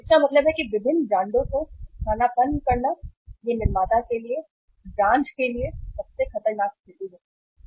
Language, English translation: Hindi, So it means substitute different brands, it is a most dangerous situation for the manufacturer, for the brand